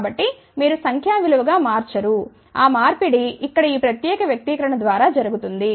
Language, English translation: Telugu, So, you do not convert into numeric value, that conversion is done by this particular expression here, ok